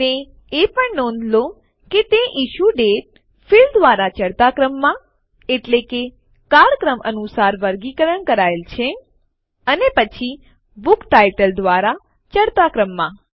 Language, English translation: Gujarati, Also notice that it has been sorted by the Issue Date field in ascending order that is, chronologically and then by Book Title in ascending order